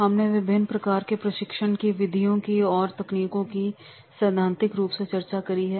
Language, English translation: Hindi, We have discussed the different training methods and techniques theoretically